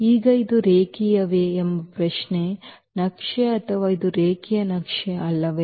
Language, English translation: Kannada, Now the question is whether this is linear map or it is not a linear map